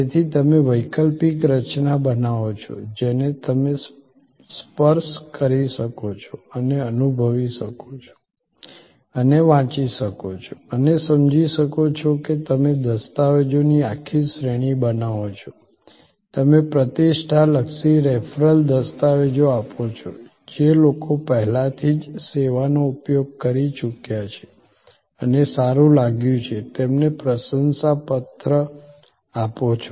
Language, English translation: Gujarati, So, you create an alternate mechanism, which you can touch and feel and read and understand is that you create a whole series of documentation, you give reputation oriented referral documentation, give testimonial of people who have already earlier use the service and felt good